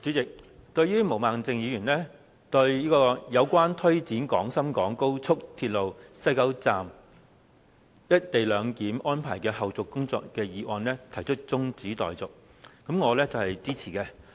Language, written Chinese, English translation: Cantonese, 主席，對於毛孟靜議員就"有關推展廣深港高速鐵路西九龍站'一地兩檢'安排的後續工作的議案"提出辯論中止待續的議案，我是支持的。, President I support Ms Claudia MOs motion of adjourning the debate on the Motion on taking forward the follow - up tasks of the co - location arrangement at the West Kowloon Station of the Guangzhou - Shenzhen - Hong Kong Express Rail Link